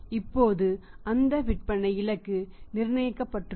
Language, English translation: Tamil, Now that is a sales target which is fixed